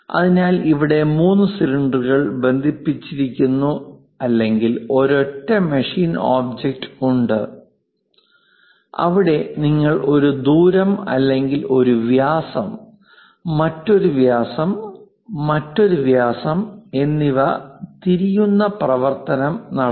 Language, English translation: Malayalam, So, there are 3 cylinders connected with each other or a single machine object, where you made a turning operation of one radius or one diameter, another diameter and this one is another diameter